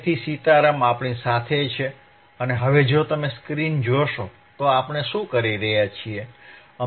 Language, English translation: Gujarati, So, Sitaram is with us and now if you see the screen if you see the screen, what we are doing